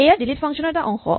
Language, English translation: Assamese, Here is a part of the delete function